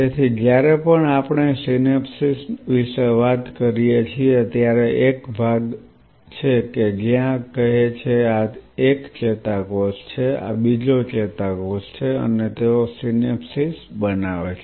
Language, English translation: Gujarati, So, whenever we talk about the synapse it is a zone where say this is one neuron this is another neuron and they are forming synapses